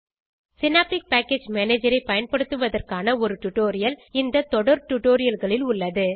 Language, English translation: Tamil, Details on how to use Synaptic Package Manager is available in a separate tutorial in this series